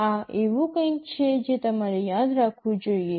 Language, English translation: Gujarati, This is something you have to remember